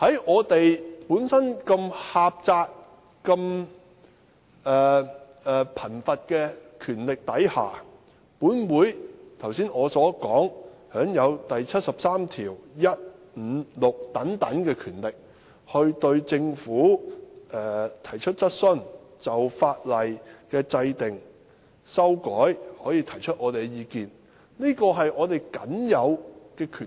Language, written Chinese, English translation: Cantonese, 我們本身的權力範疇這麼狹窄，這麼貧乏，剛才我說，《基本法》第七十三條第一、五及六項所賦予本會的權力，可對政府提出質詢，對法律的制定、修改提出意見等，是我們僅有的權力。, The scope of our power is so narrow and limited . As I said a moment ago the powers vested in this Council under Article 731 5 and 6 of the Basic Law including raising questions to the Government expressing opinions on the enactment of and amendments to laws and so forth are the only powers that we have